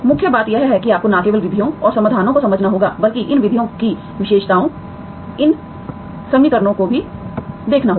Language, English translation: Hindi, Main thing is you have to understand the not just methods and solutions, and also look at the characteristics of these methods, of these equations